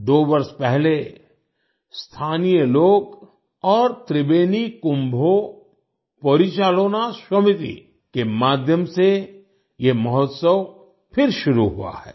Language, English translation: Hindi, Two years ago, the festival has been started again by the local people and through 'Tribeni Kumbho Porichalona Shomiti'